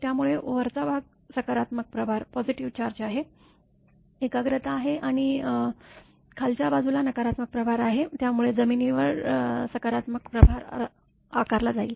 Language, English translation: Marathi, So, upper portion is the positive charge concentration and lower is the negative charge so on the ground, there will be a positive charge